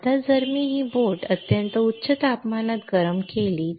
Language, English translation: Marathi, Now, if I heat this boat at extremely high temperature right